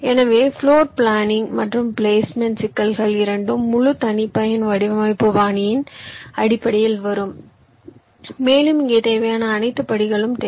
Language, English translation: Tamil, so both floor planning and placement problems will come into the picture for the full custom designs style, and here you need all the steps that are required